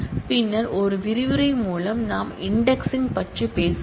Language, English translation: Tamil, with a later module we will talk about indexing